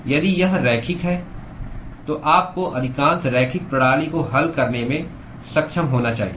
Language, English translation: Hindi, If it is linear, you should be able to solve, by and large most of the linear system